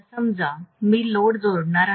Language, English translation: Marathi, Now let us say I am going to connect the load